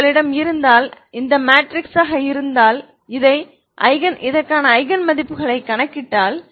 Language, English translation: Tamil, If you have such a matrix if you calculate its Eigen values ok